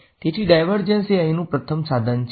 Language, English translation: Gujarati, So, divergence is the first tool over here